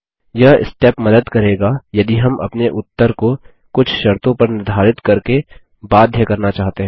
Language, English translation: Hindi, This step will help if we want to limit our result set to some conditions